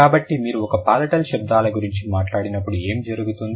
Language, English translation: Telugu, So, when you talk about palatal sounds, what happens